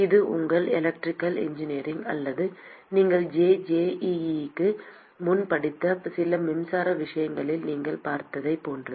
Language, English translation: Tamil, It is similar to what you would have seen in your electrical engineering or some of the electricity things you have studied pre JEE